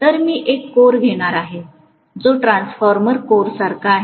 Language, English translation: Marathi, So I am going to take a core which is like a transformer core